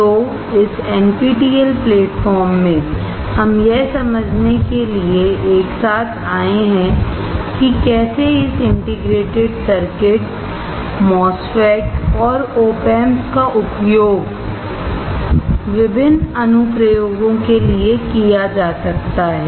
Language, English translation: Hindi, So, in this NPTEL platform, we have come together to understand, how this integrated circuits, MOSFET and OP Amps can be used for various applications